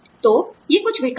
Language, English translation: Hindi, So, these are, some of the alternatives